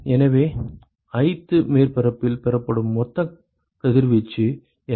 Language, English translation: Tamil, So, what is the total irradiation that is received by ith surface